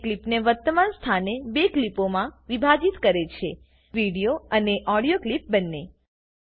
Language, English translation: Gujarati, It splits the clip into two clips at the current position both the video and the audio clips